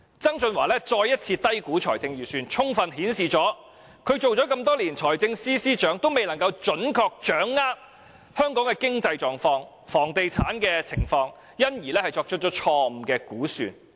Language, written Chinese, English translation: Cantonese, 曾俊華再次低估財政盈餘，充分顯示他擔任財政司司長多年，仍未能準確掌握香港的經濟狀況和房地產情況，因而作出錯誤估算。, John TSANG once again underestimated the surplus thus showing that despite his long years of service as Financial Secretary he was still unable to come to grips with our economic and property market conditions and thus made wrong estimations over and over again